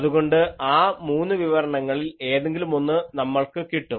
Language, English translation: Malayalam, So, you will get either of those 3 expressions